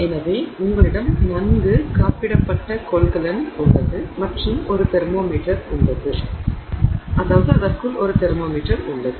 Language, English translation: Tamil, So, you have a well insulated container and there is a thermometer